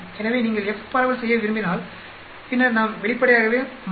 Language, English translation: Tamil, So, if you want to do f dist then we obviously the other